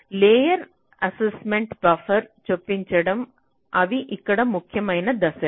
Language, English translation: Telugu, so, layer assignment, buffer insertion, these are the important steps here